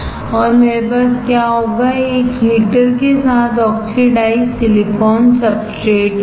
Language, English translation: Hindi, And what I will have, is oxidized silicon substrate with a heater